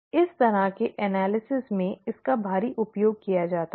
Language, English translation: Hindi, This is heavily used in this kind of analysis